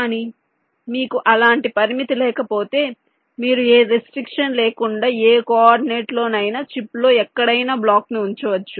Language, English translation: Telugu, you can place a block in one of the rows, but you, if you do not have any such restriction, then you can place the block anywhere on the chip on any coordinate